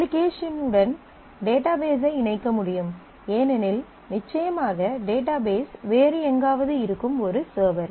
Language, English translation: Tamil, So, that with that application can connect to the database because certainly the database is somewhere else is a different server